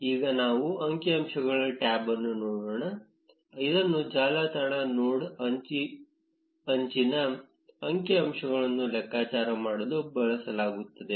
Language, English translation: Kannada, Now let us look at the statistics tab, which is used to calculate the network node edge statistics